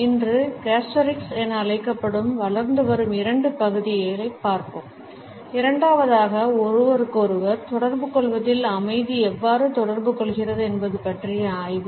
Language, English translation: Tamil, Today, we would look at two other emerging areas which are known as Gustorics and secondly, the study of how Silence communicates in interpersonal communication